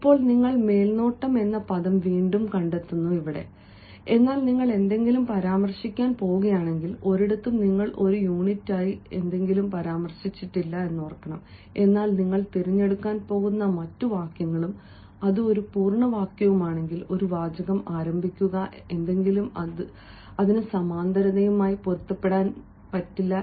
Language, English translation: Malayalam, and again, if you are going to mention something, now here you have mentioned something as a sort of unit, but if the other sentence that you are going to choose and if it is a complete sentence and you begin a sentence with something else, that will not be in tune with the parallelism